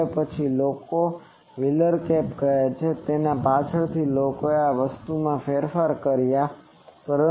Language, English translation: Gujarati, Now later people have so this is called wheeler cap later people have modified this thing also